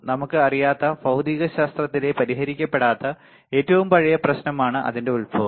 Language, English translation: Malayalam, Its origin is one of the oldest unsolved problem in physics see from where it originates we do not know